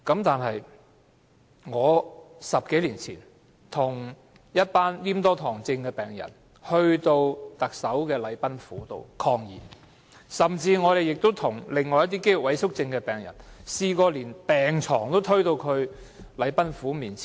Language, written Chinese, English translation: Cantonese, 不過 ，10 多年前，我曾與一班黏多醣症病人到行政長官的禮賓府抗議，也曾與一些肌肉萎縮症的病人抗議，當時連病床也推到禮賓府前。, However a dozen of years ago I went to Government House of the Chief Executive with a group of Mucopolysaccharidoses MPS patients to stage a protest . I had also protested with some SMA patients where a hospital bed was also pushed to Government House